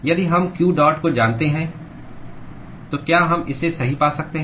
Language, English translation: Hindi, If we know q dot ,we can find it right